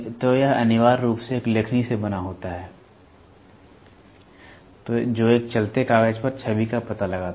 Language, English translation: Hindi, So, this essentially consists of a stylus that traces the image on a moving paper